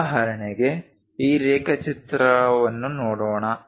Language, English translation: Kannada, For example, let us look at this drawing